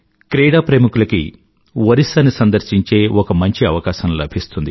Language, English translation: Telugu, This is a chance for the sports lovers to see Odisha